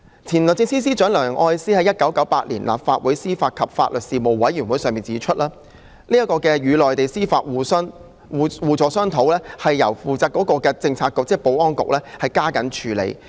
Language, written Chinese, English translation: Cantonese, 前律政司司長梁愛詩在1998年於立法會司法及法律事務委員會會議上指出，香港可與內地司法部門商討互助安排，由負責的政策局加緊處理。, In 1998 former Secretary for Justice Ms Elsie LEUNG said at a meeting of the Legislative Council Panel on Administration of Justice and Legal Services that Hong Kong could negotiate mutual assistance arrangements with the Mainland judicial departments and the responsible Policy Bureau should step up its efforts in handling the relevant work